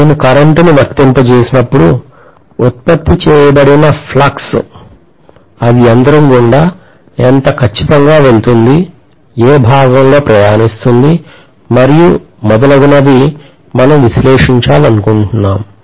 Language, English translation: Telugu, And when I apply a current, what is the kind of fluxes produced, how exactly it passes through the machine, in what part it travels and so on and so forth we would like to analyze